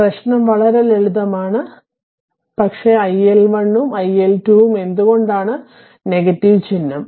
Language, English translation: Malayalam, Problem is very simple, but only thing that iL1 and iL2 why minus sign